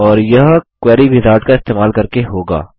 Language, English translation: Hindi, And that is by using a Query Wizard